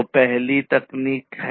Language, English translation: Hindi, So, the first one is the technology